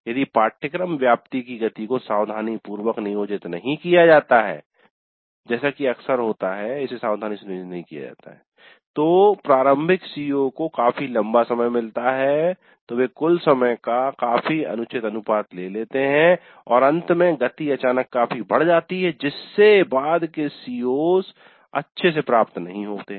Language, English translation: Hindi, These two are related if the pace of coverage is not planned carefully and often it does happen that it is not planned carefully then initial COs gets fairly long time, fairly undue proportion of the total time and towards the end the pace suddenly picks up tremendously and the later COs are not covered that well